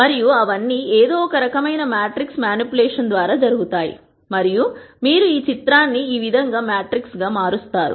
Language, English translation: Telugu, And all of those are done through some form of matrix manipulation and this is how you convert the picture into a matrix